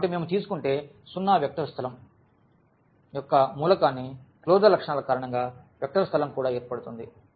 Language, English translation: Telugu, So, if we take just the 0 element of a vector space that will form also a vector space because of the closure properties